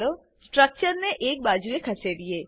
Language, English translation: Gujarati, Lets move the structures to a side